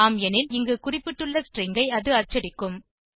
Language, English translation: Tamil, If it is, it will print out the specified string